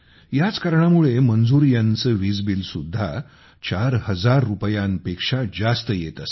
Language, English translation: Marathi, For this reason, Manzoorji's electricity bill also used to be more than Rs